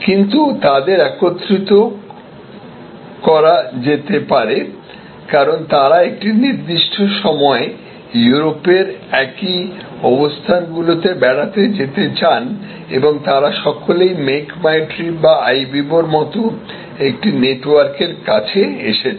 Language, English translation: Bengali, But, they might have been brought together, because they want to visit the same locations in Europe at a particular period and they are all approaching a network like Make my trip or Ibibo